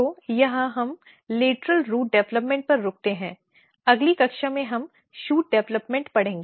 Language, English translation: Hindi, So, here we stop lateral root development in next class we will take shoot development